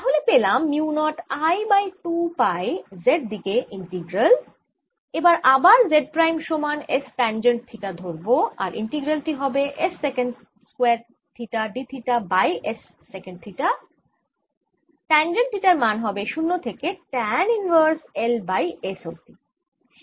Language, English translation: Bengali, i do this integral by taking z prime equals s tangent theta and this gives me mu naught i over four pi z integral s secant square theta d theta over s sec theta minus pi by two to pi by two